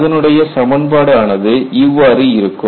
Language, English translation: Tamil, And if you look at the expression would be like this